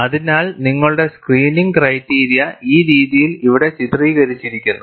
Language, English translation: Malayalam, So, your screening criteria is depicted here, in this fashion